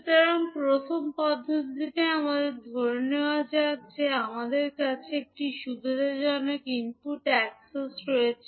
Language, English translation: Bengali, So, first method is that let us assume that the, we have one convenient input access